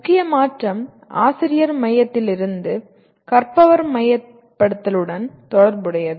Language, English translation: Tamil, The major shift is related to from teacher centricity to learner centricity